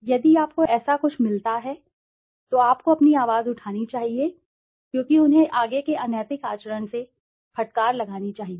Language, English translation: Hindi, If you find something similar you should raise your voice because they should be reprimanded by the further unethical conduct